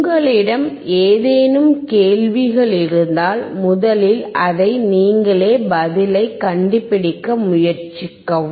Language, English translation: Tamil, If you have any questions, first try to find it out yourself